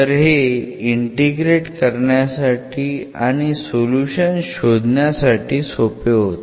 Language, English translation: Marathi, So, it was easy to integrate and find the solution